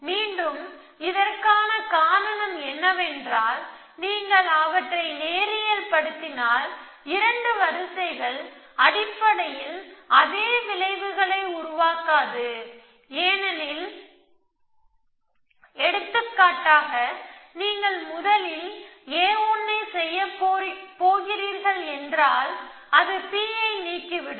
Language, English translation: Tamil, Again, the reason for this is, that if you got to linearise them then the 2 orders will not produce the same effects essentially, for example if you going to do a 1 first then it would delete P and then it convert to a 2 after that you could do a 2 first and a 1 afterwards